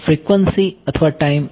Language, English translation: Gujarati, Frequency or time